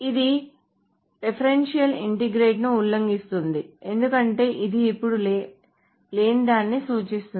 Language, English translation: Telugu, So this violates what is known as the referential integrity because this is now referring to something which is not present